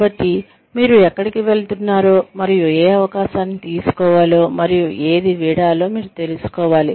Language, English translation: Telugu, So, you should know, where you are headed, and which opportunity to take, and which to let go of